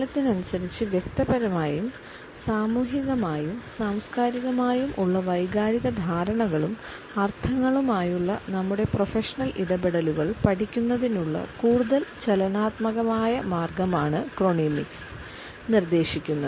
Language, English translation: Malayalam, Chronemics ask for a more dynamic way of studying our professional interactions with emotional understandings and connotations which we have individually, socially and culturally with time